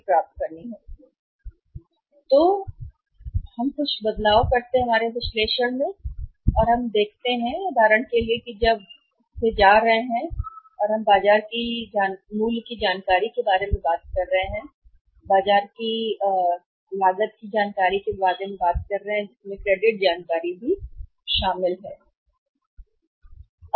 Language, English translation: Hindi, So, in our analysis we make some changes and we see that for example when they are going for the when we are talking about the cost of market information cost of market information when you talk about the cost of market information which includes the credit information also